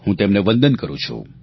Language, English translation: Gujarati, I salute him